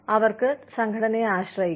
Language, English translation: Malayalam, They can depend on the organization